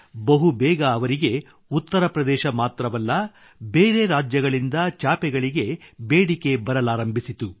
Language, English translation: Kannada, Soon, they started getting orders for their mats not only from Uttar Pradesh, but also from other states